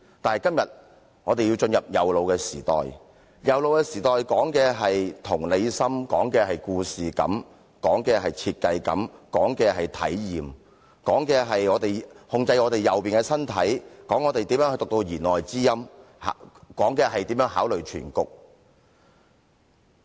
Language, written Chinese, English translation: Cantonese, 但今天我們要進入右腦的時代，而右腦時代講求同理心、故事感、設計感和體驗，關乎如何控制我們左邊的身體、領會弦外之音和考慮全局。, But today we are about to enter the age of the right brain which stresses empathy story sense design and experience and concerns how we control the left side of our body read between the lines and consider the big picture